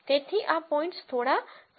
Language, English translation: Gujarati, So, these points move a little bit